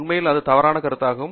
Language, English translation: Tamil, In fact, that is a very wrong notion